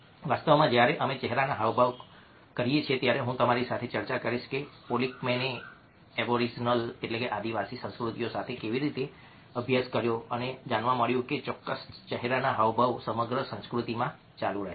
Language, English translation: Gujarati, in fact, when we do facial expressions, i will discuss with you how polikman did studies with a original cultures and found that certain facial expressions persisted across cultures